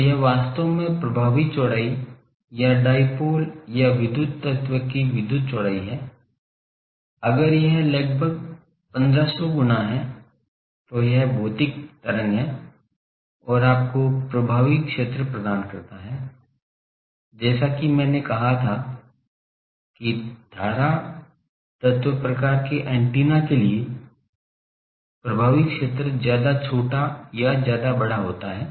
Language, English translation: Hindi, So, this is the thing actually effective width, or electrical width of a dipole or a current element, if that is almost 1500 times it is physical wave and gives you is the effective area, as I said that for current wire type of antennas, the effective area is much small much larger than